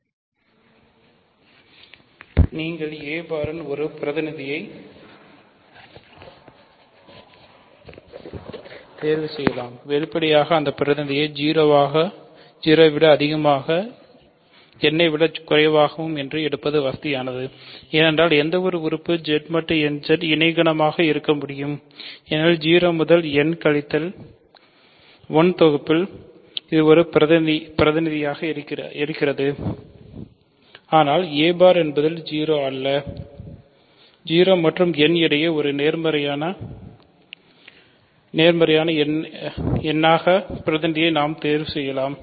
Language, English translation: Tamil, So, you can choose a representative for a bar say; obviously, it is convenient to call that representative a such that 0 is less than a less than n because any element can be any co set in Z mod nZ has a representative in the set 0 to n minus 1, but because a bar is not 0 we can choose the representative to be actually a positive number between 0 and n ok